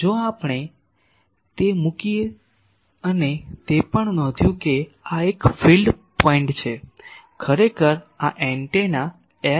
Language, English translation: Gujarati, If we put that then and also noting that this is a field point actually this is the antenna I